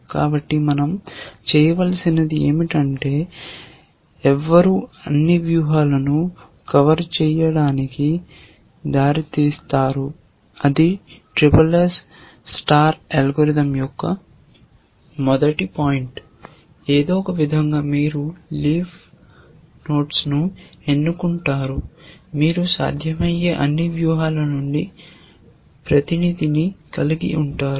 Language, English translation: Telugu, So, what we need to do is to select leads to cover all strategies, that is the first point of SSS star algorithm, that somehow you select the leaves in such a manner that, you have a representative from all possible strategies, which means you have covered all strategies